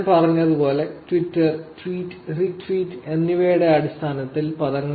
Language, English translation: Malayalam, And terminology in terms of Twitter, tweet, retweet, as I said